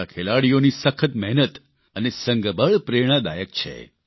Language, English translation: Gujarati, The hard work and teamwork of our players is inspirational